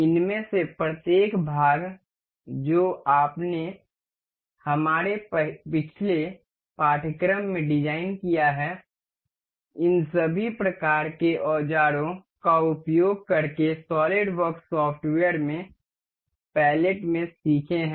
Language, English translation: Hindi, Each of these parts you have we have learned to design in our previous course using these all kinds of tools the in the palettes in the solidworks software